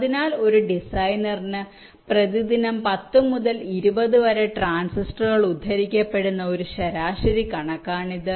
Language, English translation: Malayalam, so this was a average figure which is coated: ten to twenty transistors per day per designer